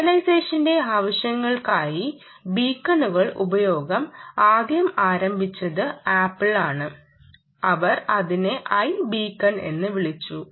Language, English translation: Malayalam, use of beacons for purposes of localization first started by started by apple and they called it i beacon